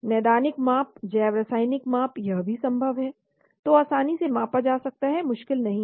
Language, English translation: Hindi, Clinical measurement, biochemical measurements , this is also possible, which are easily measurable not difficult